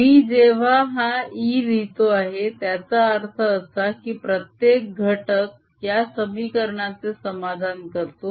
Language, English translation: Marathi, when i am writing this e, that means each component satisfies this equation